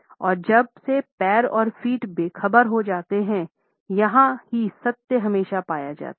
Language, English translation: Hindi, And since the legs and feet go off and unrehearsed, it is also where the truth is almost always found